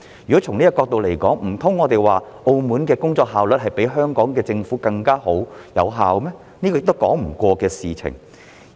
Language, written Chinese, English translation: Cantonese, 如果從這個角度而言，難道我們要說澳門政府比香港政府更有工作效率、更具成效嗎？, From this perspective can we say that the Macao Government works more efficiently and effectively than the Hong Kong Government?